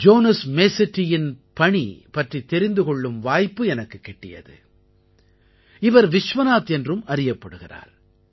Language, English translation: Tamil, I got an opportunity to know about the work of Jonas Masetti, also known as Vishwanath